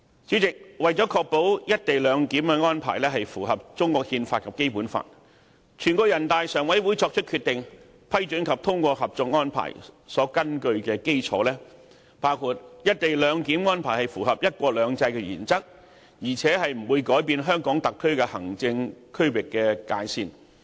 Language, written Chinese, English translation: Cantonese, 主席，為確保"一地兩檢"安排符合中國憲法及《基本法》，全國人大常委會作出決定批准及通過《合作安排》，所根據的基礎包括"一地兩檢"安排符合"一國兩制"原則，而且不會改變香港特區行政區域界線。, Chairman to ensure the co - location arrangements compliance with the Constitution of China and the Basic Law NPCSC made the Decision to approve and endorse the Co - operation Arrangement on the bases among others that the co - location arrangement is consistent with the one country two systems principle and that the territorial boundary of HKSAR will remain unchanged